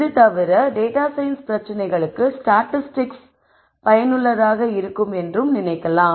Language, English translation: Tamil, Other than this one could also think of statistics as useful by itself for data science problems